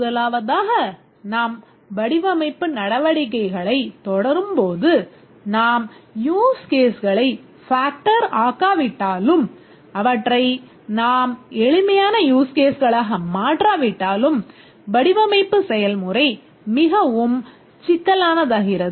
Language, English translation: Tamil, The first is as we proceed with design activities, we will see that unless we factor the use cases and make it into simpler use cases, the design process becomes extremely complicated because we will develop some diagrams